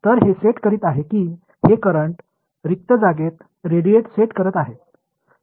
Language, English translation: Marathi, So, this is setting these currents are setting radiating in empty space